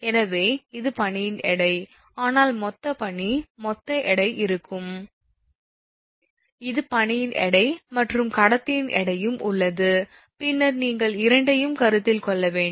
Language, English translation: Tamil, So, this is the weight of the ice then, but total ice, the total weight will be, this is the weight of the ice and weight of the conductor is also there, then you have to consider both